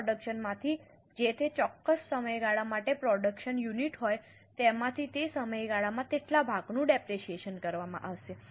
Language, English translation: Gujarati, Out of that total production, whatever is a production units for that particular period, that much portion will be depreciated in that period